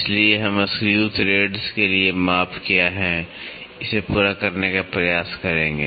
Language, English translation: Hindi, So, we will try to cover what are the measurements for screw threads